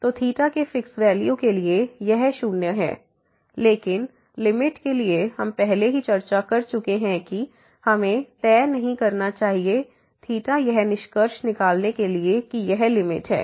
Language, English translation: Hindi, So, for fix value of theta, this is 0, but as for the limit we have already discussed that we should not fix theta to conclude that this is the limit